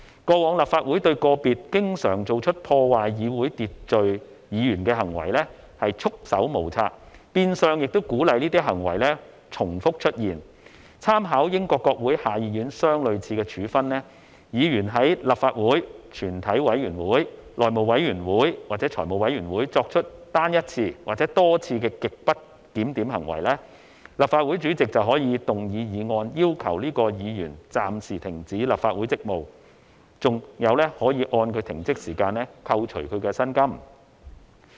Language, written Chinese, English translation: Cantonese, 過往立法會對個別經常做出破壞議會秩序的議員行為，束手無策，變相鼓勵這些行為重複出現，參考英國國會下議院相類似的處分，議員在立法會全體委員會、內會或財務委員會作出單一次或多次極不檢點行為，立法會主席便可以動議議案，要求該議員暫時停止立法會職務，更可按他的停職時間扣除其薪金。, We drew reference from the similar penalty adopted by the House of Commons of the UK Parliament . If a Member whose conduct in a single instance or multiple instances in Council a committee of the whole council the House Committee or Finance Committee is grossly disorderly the President may move a motion to suspend the Member from the service of the Legislative Council . The President may even deduct the Members remuneration during his period of suspension